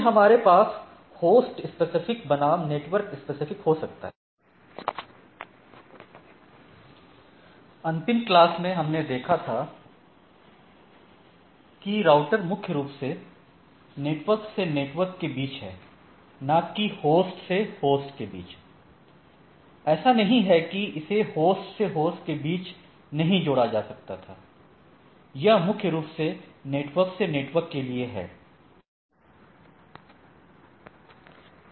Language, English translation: Hindi, Then, we can have host specific versus network specific, last class if you remember, we are looking at that it is router is primarily between networks to network, not meant for host to host right it is not like that, cannot be done but, it is mainly for network to network